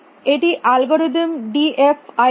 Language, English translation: Bengali, This is algorithm d f i d that